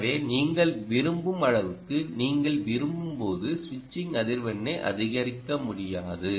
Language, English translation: Tamil, so you cant really go on increasing the switching frequency as and when you like, as much as you like